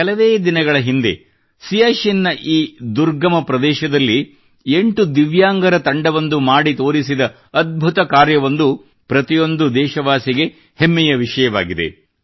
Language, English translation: Kannada, A few days ago, the feat that a team of 8 Divyang persons performed in this inaccessible region of Siachen is a matter of pride for every countryman